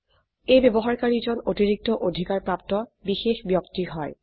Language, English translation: Assamese, He is a special user with extra privileges